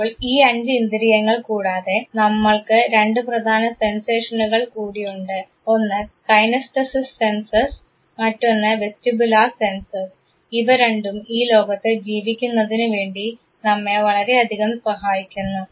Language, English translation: Malayalam, So, beside these five senses, we have two important sensations one is the kinesthesis senses another is the vestibular senses and both of them help us like anything in terms of living in this very world